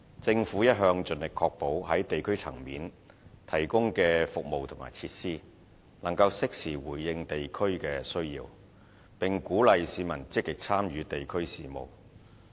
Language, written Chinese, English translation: Cantonese, 政府一向盡力確保在地區層面提供的服務和設施，能適時回應地區的需要，並鼓勵市民積極參與地區事務。, The Government always seeks to ensure that the provision of services and facilities at the district level is responsive to district needs and promote active public participation in district affairs